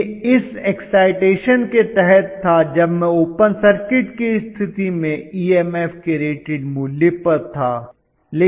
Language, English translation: Hindi, It was under this excitation when I was at rated value of EMF under open circuit condition